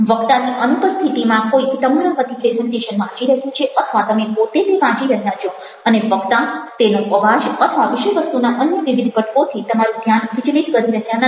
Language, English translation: Gujarati, somebody is reading out this presentations or you are reading it by yourself in the absence of the speaker and the speaker is not distracting you with his voice and various other components of the content